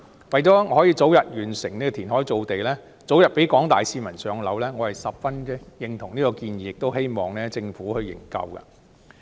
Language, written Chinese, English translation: Cantonese, 為了可以早日完成填海造地，讓廣大市民早日"上樓"，我十分認同此項建議，亦希望政府可以研究。, In order to complete land reclamation expeditiously so that the public can be allocated a flat as soon as possible I very much agree with this proposal and hope the Government can look into it